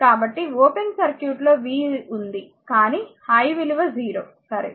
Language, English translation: Telugu, So, for open circuit v is there, but i is 0, right